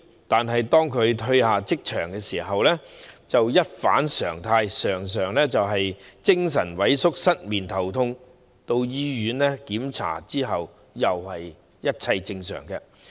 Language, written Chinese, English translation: Cantonese, 但是，當他們從職場退下時，便會一反常態，常常感到精神萎靡、失眠、頭痛，到醫院檢查發現其實一切正常。, However when they retire from the workplace they would contrary to their usual way often feel dispirited and suffer from insomnia and headaches . Examinations at hospital show that everything is normal